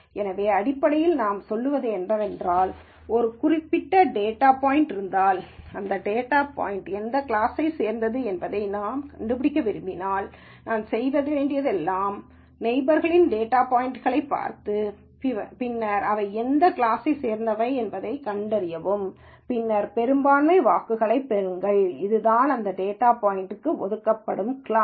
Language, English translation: Tamil, So, what basically we are saying is, if there is a particular data point and I want to find out which class this data point belongs to, all I need to do is look at all the neighboring data points and then find which class they belong to and then take a majority vote and that is what is the class that is assigned to this data point